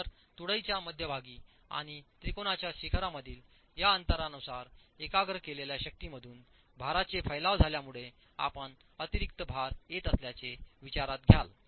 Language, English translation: Marathi, So depending on this gap between the center line of the beam and the apex of the triangle, you will consider additional loads coming because of the dispersion of the loads from the concentrated force